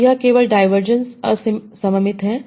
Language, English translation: Hindi, So this so kl divergence is asymmetric